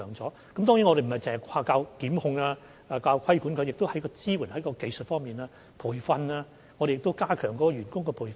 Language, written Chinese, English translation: Cantonese, 當然，我們並非只靠檢控和規管，也會在支援和技術方面進行培訓，以及加強員工的培訓等。, Of course we do not only rely on prosecution and regulation but will also provide supportive and technical training so as to enhance the capability of staff